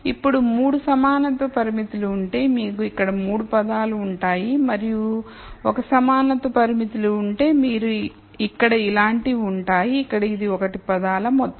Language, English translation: Telugu, Now, if there are 3 equality constraints, then you would have 3 terms here and if there are l equality constraints you will have something like this here where this is sum of l terms